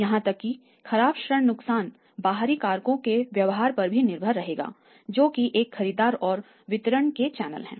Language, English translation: Hindi, Even the bad debt losses will also depend upon the behaviour of the external factors that is a buyer's and channels of distribution